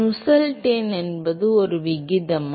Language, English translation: Tamil, Nusselt number is a ratio of